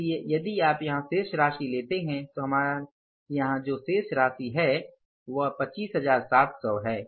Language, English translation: Hindi, So if you take the balance here, so what is the balance here we have to take is that is coming up as 25,700s